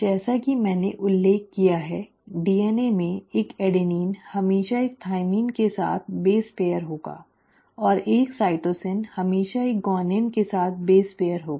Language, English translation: Hindi, As I mentioned, in DNA, an adenine will always base pair with a thymine and a cytosine will always form of base pair with a guanine